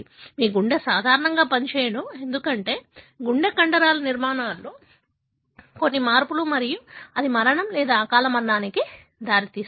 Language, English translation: Telugu, Your heart do not function normally, because of some changes in the structure of the heart muscle and that may result in death, premature death